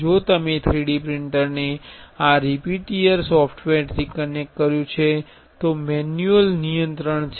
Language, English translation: Gujarati, And if you have connected the 3D printer to this repetier software, there is a manual control